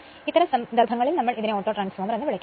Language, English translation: Malayalam, In that case, we call this as a Autotransformer